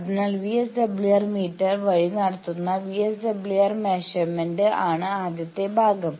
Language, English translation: Malayalam, So, this first part; that means measurement of VSWR that is done by the VSWR meter